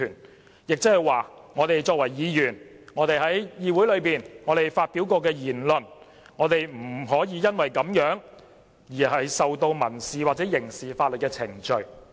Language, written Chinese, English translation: Cantonese, 換言之，作為議員，不能因我們在議會內發表的言論而對我們提起民事或刑事法律程序。, In order words no civil or criminal proceedings shall be instituted against us the legislators for words spoken in the legislature